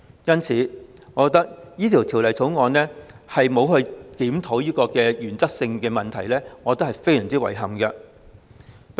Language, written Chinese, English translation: Cantonese, 因此，對於《條例草案》並沒有檢討這個原則性問題，我認為相當遺憾。, Hence I find it regrettable that this issue of principle is not reviewed in the Bill